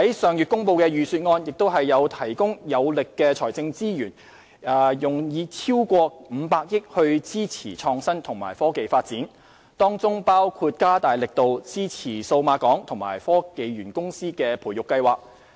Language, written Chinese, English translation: Cantonese, 上月公布的預算案提供有力的財政資源，以超過500億元支持創新及科技發展，當中包括加大力度支持數碼港及科技園公司的培育計劃。, Strong financial resources are provided in the Budget last month and more than 50 billion has been earmarked for promoting innovation and technology development including giving vigourous support to the incubation programmes operated by Cyberport and the Hong Kong Science and Technology Parks Corporation